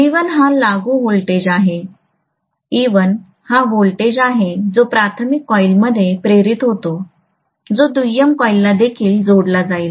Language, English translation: Marathi, V1 is the applied voltage; e1 is the voltage that is induced within the primary coil which will be linking with the secondary coil as well